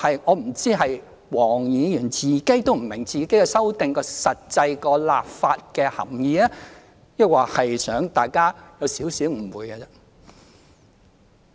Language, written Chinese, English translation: Cantonese, 我不知道黃議員本人是否也不明白她修正案的實際立法含意，抑或是想大家有少許誤會。, I wonder if even Dr WONG herself does not understand the actual legislative implications of her amendment or if she wants Members to have a little misunderstanding